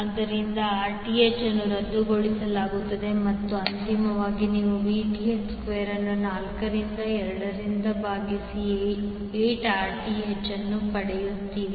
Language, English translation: Kannada, So, 1 Rth will be canceled out and finally you get Vth square divided by 4 into 2 that is 8 Rth